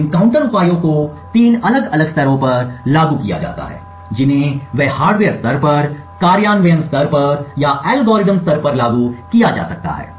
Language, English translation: Hindi, So, these counter measures have been applied at three different levels they can be applied at the hardware level, at the implementation level, or at the algorithm level